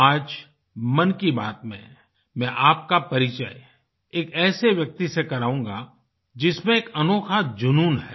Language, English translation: Hindi, Today in Mann ki baat I will introduce you to a person who has a novel passion